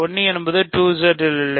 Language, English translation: Tamil, So, 1 is not in 2Z